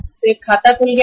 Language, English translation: Hindi, So one account is opened